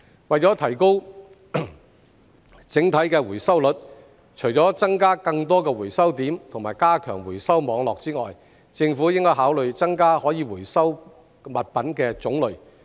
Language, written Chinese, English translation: Cantonese, 為了提高整體的回收率，除了增加更多回收點及加強回收網絡之外，政府亦應考慮增加可回收物品的種類。, To boost the overall recovery rate apart from adding more recycling points and strengthening the recycling network the Government should also consider expanding the variety of recyclables